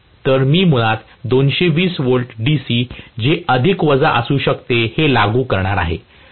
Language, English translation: Marathi, So, I am going to apply basically plus minus may be 220 V DC